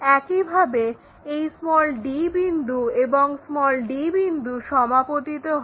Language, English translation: Bengali, Similarly, d point this one and this d point coincides, so join by line